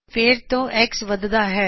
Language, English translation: Punjabi, Again x is incremented